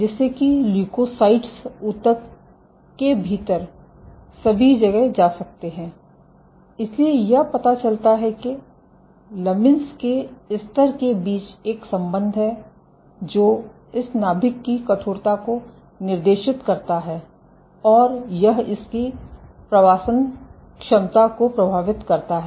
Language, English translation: Hindi, So, that leukocytes can go all over the place within the tissue, so this suggests that there is a relationship between lamin levels, which dictates this nucleus stiffness and this impacts its migration ability ok